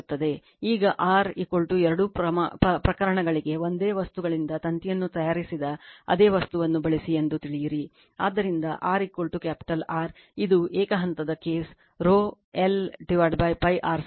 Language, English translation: Kannada, Now, we know that R is equal to we use the same material that wire is made of the same material for both the cases, so R is equal to capital R that is the first case that is single phase case rho l upon pi r square